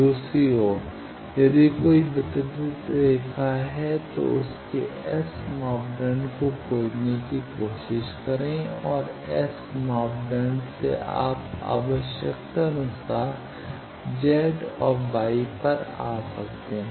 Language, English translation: Hindi, On the other hand, if there is a distributed line then try to find its S parameter and from S parameter you can come to Z or Y as required